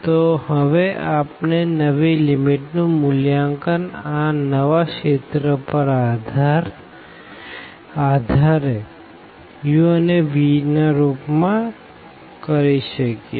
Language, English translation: Gujarati, So, now we can evaluate the new limits based on this new region in terms of u and v